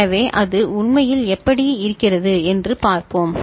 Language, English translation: Tamil, So, let us see how it actually looks like